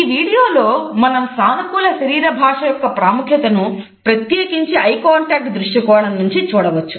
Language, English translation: Telugu, In this video we can look at the significance of positive body language particularly from the perspective of eye contact